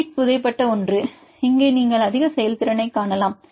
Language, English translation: Tamil, This is for the sheet the buried one you can higher performance here also you can see